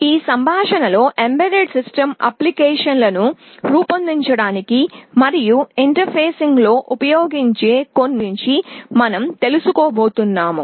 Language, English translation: Telugu, We shall be talking about some of the sensors that we can use for interfacing and for building some embedded system applications in this lecture